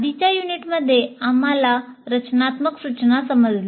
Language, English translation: Marathi, In the earlier unit, we understood the instruction for design